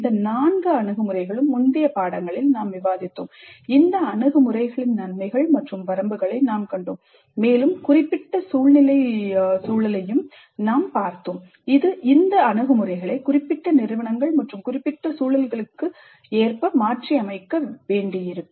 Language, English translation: Tamil, All these four approaches we have discussed in the earlier units and we saw the advantages and limitations of these approaches and we also looked at the specific situational context which will necessiate adapting these approaches to specific institutes and specific contexts